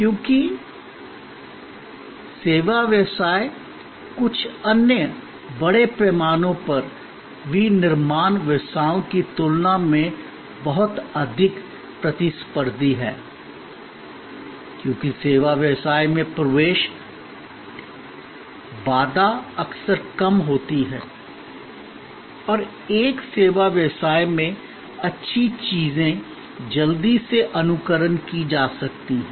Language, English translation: Hindi, Because, service business is much more competitive than certain other large scale manufacturing businesses, because the entry barrier in the service business is often lower and good things in one service business can be quickly emulated